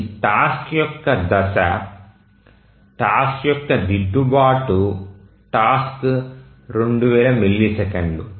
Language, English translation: Telugu, So, the phase of this task, the task correction task is 2,000 milliseconds